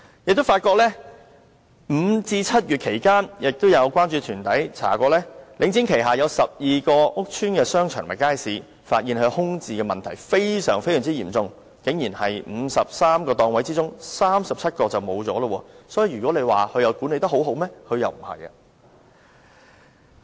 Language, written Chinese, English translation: Cantonese, 有關注團體曾進行調查，發現在5月至7月期間，領展旗下有12個屋邨商場和街市的空置問題非常嚴重，在53個檔位之中竟然有37個空置，所以如果說領展管理得很好，事實並非如此。, A survey conducted by a concern group found that between May and July vacancy was serious in the shopping arcades and markets of 12 public housing estates under Link REIT and among 53 market stalls as many as 37 were vacant . Therefore it is far from true in reality that Link REIT has been effective in its management